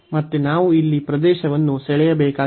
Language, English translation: Kannada, So, again we need to draw the region here